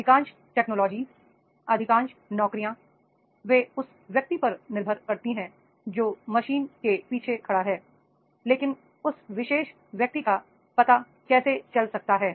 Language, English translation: Hindi, Most of the technologies, right, most of the jobs, they are depending on not the men who is standing behind the machine, it is the know how level of that particular man